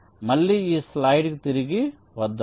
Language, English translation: Telugu, ok, so lets come back to this slide again